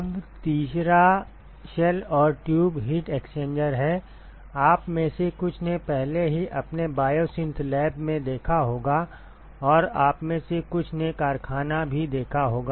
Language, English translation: Hindi, Now, the third one is the shell and tube heat exchanger, some of you have already seen in your biosynth lab and some of you may have seen industry also